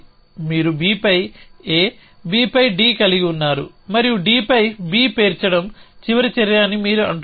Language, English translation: Telugu, You have this A on B, B on D and you are saying that may last action would be to stack